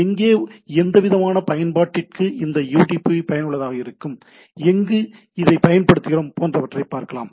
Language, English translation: Tamil, We will see that where which type of applications which where this UDP will be useful and where we use this type of thing